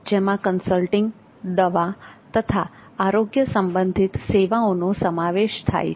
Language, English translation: Gujarati, It covers consultation, medicine and health equipment